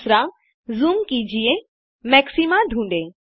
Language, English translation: Hindi, Zoom and find the maxima